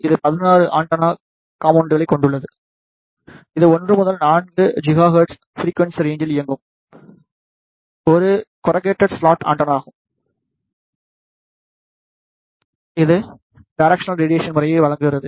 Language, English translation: Tamil, It contains the 16 antenna elements; it is a corrugated slot antenna operating in the frequency range 1 to 4 gigahertz it provides the directional radiation pattern